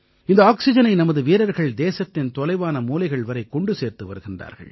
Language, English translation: Tamil, Our warriors are transporting this oxygen to farflung corners of the country